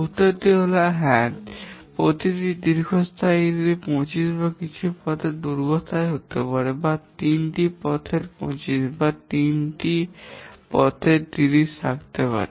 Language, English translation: Bengali, It can so happen that two of the longest paths each have 25 or something as their duration or maybe three paths have 25 or three paths may have 30